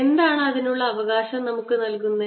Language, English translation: Malayalam, what gives us the right to do so